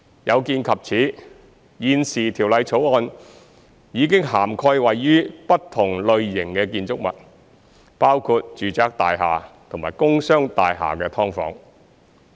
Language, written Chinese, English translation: Cantonese, 有見及此，現時《條例草案》已涵蓋位於不同類型的建築物，包括住宅大廈和工商大廈的"劏房"。, In view of this the Bill now covers subdivided units located in different types of buildings including residential buildings and commercial and industrial buildings